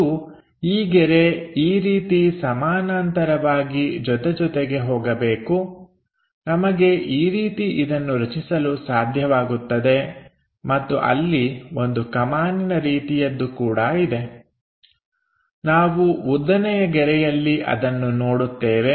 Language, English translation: Kannada, And this line this line supposed to go parallel to each other something like that we will be in a position to construct and there is something like an arc also we will see in the vertical line